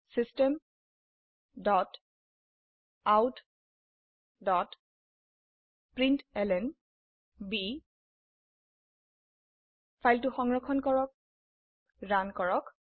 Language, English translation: Assamese, System dot out dot println Save the file and run it